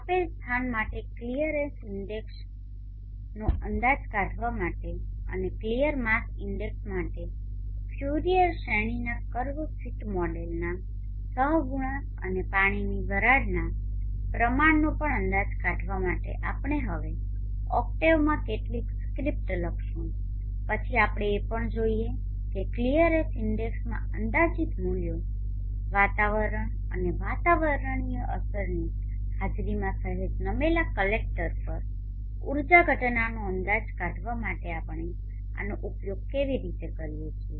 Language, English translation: Gujarati, We shall now write some scripts in octave to estimate the clearness index for a given place and also to estimate the coefficients of the Fourier series curve rate model for clear mass index and also the water vapor content then we shall also see how we use the estimated value of the clearness index in order to estimate the energy incident on a tilted slightly collector in the presence of atmosphere atmospheric effects